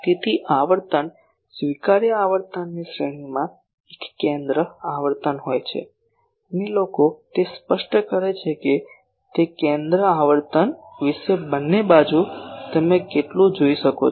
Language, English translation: Gujarati, So, within the range of frequency acceptable frequency there is a centre frequency and people specify that about that centre frequency in both sides how much you can go